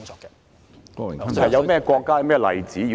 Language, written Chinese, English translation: Cantonese, 有甚麼國家和例子？, Any particular countries or examples?